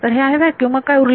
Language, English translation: Marathi, So, it is a vacuum then what is left